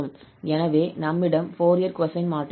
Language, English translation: Tamil, So, we have here the Fourier cosine transform